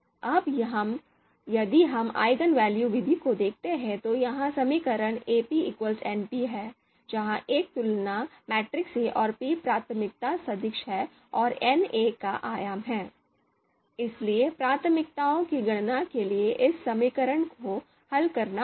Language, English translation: Hindi, If we look at the you know eigenvalue method, so this is the equation that is Ap equal to np, where A is the comparison matrix and p is priority vector and n is the dimension of A